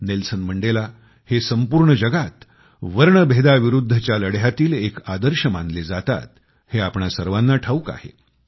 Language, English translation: Marathi, We all know that Nelson Mandela was the role model of struggle against racism all over the world and who was the inspiration for Mandela